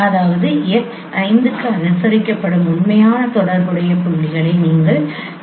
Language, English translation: Tamil, So that means you consider the actual corresponding points which has been observed for x5